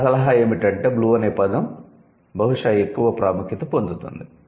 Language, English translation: Telugu, My suggestion would be blue is getting more importance probably